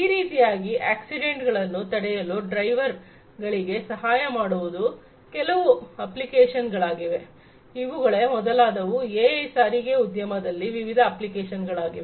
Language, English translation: Kannada, Like this assisting drivers to prevent accidents these are all different applications; these are some of the different applications of use of AI in transportation industry